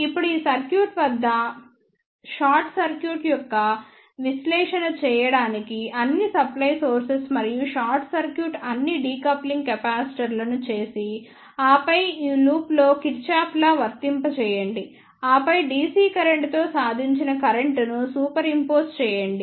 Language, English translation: Telugu, Now, just to do the analysis of this circuit short circuit all the supply sources and short circuit all the decoupling capacitors and then apply the Kirchhoff law in this loop, and then superimpose the current achieved in this with the DC current